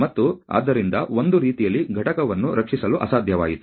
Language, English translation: Kannada, And so, in a way that made it impossible to salvage the unit